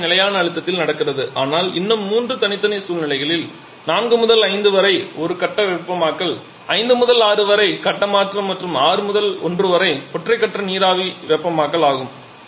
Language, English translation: Tamil, Everything is happening at constant pressure but still 3 separate situations 4 to 5 is a single phase heating 5 to 6 is phase change and 6 1 is single phase vapour heating